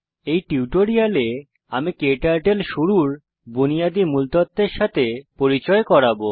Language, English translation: Bengali, In this tutorial I will introduce you to the basics of getting started with KTurtle